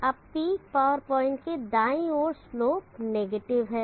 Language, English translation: Hindi, Now on the right side of the peak power point the slope is negative